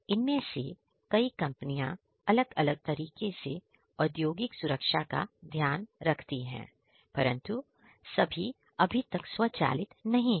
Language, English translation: Hindi, Many of these companies they take care of the industrial safety in their different, different ways, but not all of which is yet you know automated